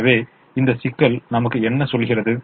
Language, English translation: Tamil, so what does this constraint tell us